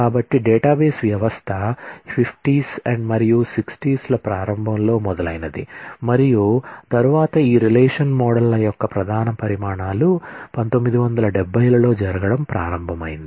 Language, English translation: Telugu, So, database system started in the 50’s and early 60’s, then major developments of these relational models and all that started happening in the 70’s